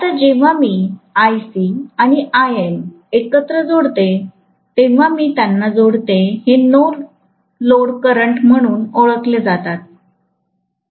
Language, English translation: Marathi, Now, when I add them together right Ic and Im, I add them together, I am going to get what is known as the no load current